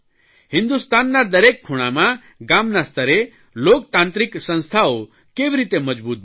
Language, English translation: Gujarati, How can the democratic institutions at the village level, in every corner of India, be strengthened